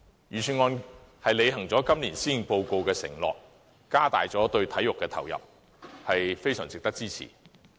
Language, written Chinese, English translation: Cantonese, 預算案履行了今年施政報告的承諾，加大了對體育的投入，是非常值得支持的。, The Budget has honoured the undertakings made by the Policy Address this year by increasing its allocation to the sports sector and this is well worth our support